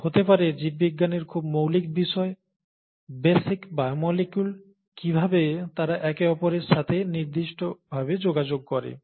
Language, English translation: Bengali, And the very fundamentals of biology, the basic biomolecules, how they interact with each other to certain extent may be